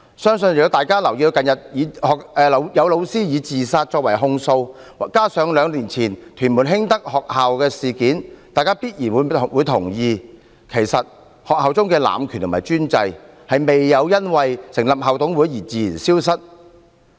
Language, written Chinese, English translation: Cantonese, 相信如果大家留意近日有教師以自殺所作的控訴，加上兩年前屯門興德學校事件，大家必然會同意，其實學校中的濫權和專制未有因為成立校董會而自然消失。, If we have noted the recent appeal of a teacher made by way of her suicide and the Hing Tak School incident of Tuen Mun two years ago we will certainly agree that abuse of power and despotism in schools have not vanished naturally with the establishment of IMCs